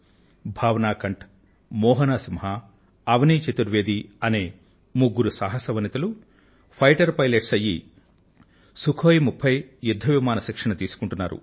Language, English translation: Telugu, Three braveheart women Bhavna Kanth, Mohana Singh and Avani Chaturvedi have become fighter pilots and are undergoing training on the Sukhoi 30